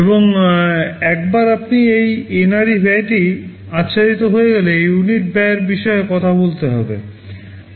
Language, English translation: Bengali, And once you have this NRE cost covered, you talk about unit cost